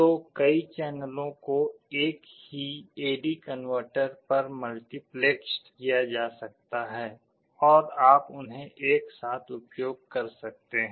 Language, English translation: Hindi, So, multiple channels can be multiplexed on the same A/D converter and you can use them simultaneously